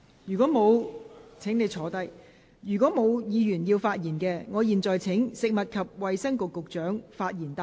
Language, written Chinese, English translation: Cantonese, 如果沒有議員想發言，我現在請食物及衞生局局長發言答辯。, If no Member wishes to speak I now call upon the Secretary for Food and Health to reply